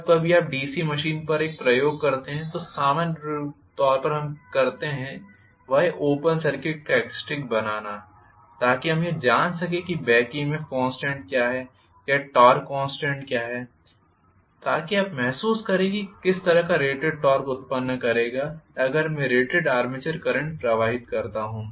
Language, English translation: Hindi, Okay, so much so far open circuit characteristics whenever you do an experiment on DC machine the first thing normally we do is to make the open circuit characteristics so that we know exactly what the back EMF constant is or what is the torque constant so that you get feel for what is the kind of rated torque it will generate if I pass rated armature current, right